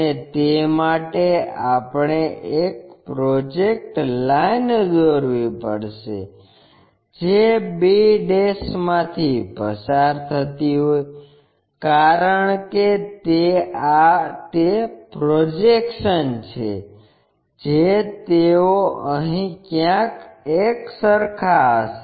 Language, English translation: Gujarati, And, for that we have to locate a projector line, which is passing through b', because these are the projections they will match somewhere here